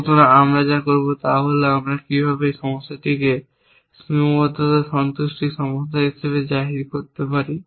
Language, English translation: Bengali, So, what we will do is, we will just get a flavor of how to pose a problem as a constraint satisfaction problem